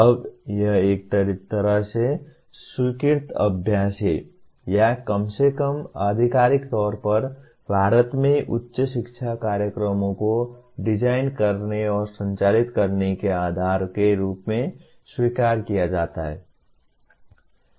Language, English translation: Hindi, Now it is a kind of a accepted practice or at least officially accepted as the basis for designing and conducting higher education programs in India